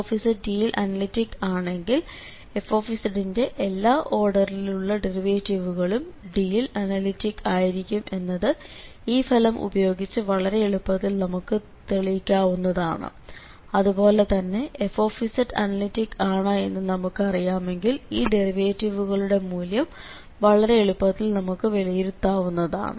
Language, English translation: Malayalam, So all order derivatives of this fz will be also analytic in D if fz is analytic in D, so that is a very interesting result in this connection of the complex variables that if this fz is analytic in D then all its derivatives will be also analytic in that domain D which is readily prove form this result where we have seen that the derivatives can be computed easily once we know that this fz is analytic